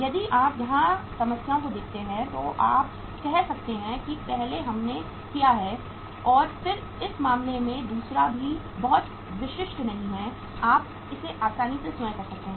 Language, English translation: Hindi, If you see the problems here you can say that first we have done and then in this case second one is also not very typical uh you can easily do it yourself